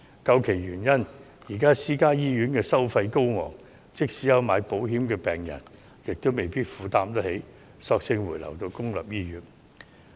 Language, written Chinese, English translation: Cantonese, 究其原因，是由於私營醫院的收費高昂，即使買了保險的病人亦未必能夠負擔，所以乾脆回流到公營醫院。, The reason is the exorbitant charges in private hospitals which the patients may not be able to afford despite the insurance coverage . They thus simply return to public hospitals for treatment